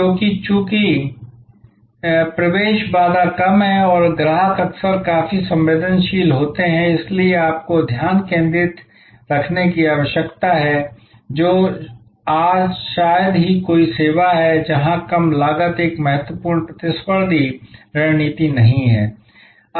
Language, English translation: Hindi, Because, as the entry barrier is low and customers are often quite price sensitive therefore, you need to stay focused that is hardly any service today, where low cost is not an important competitive strategy